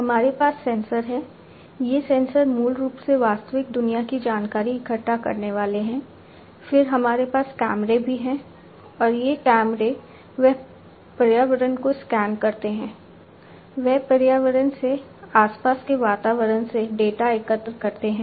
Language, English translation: Hindi, We have sensors; these sensors basically are the ones that gather real world information, then we have also the cameras and these cameras they scan the environment, they collect the data from the environment, from the surroundings